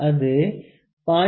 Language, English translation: Tamil, It could be 0